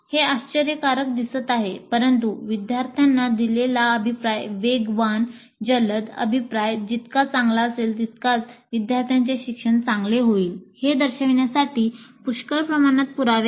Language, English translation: Marathi, It looks surprising, but there is considerable amount of evidence to show that the faster, the quicker the feedback provided to the students is the better will be the students learning